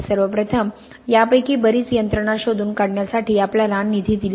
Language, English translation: Marathi, First of all, it has given funding to enable us find out lot of these mechanisms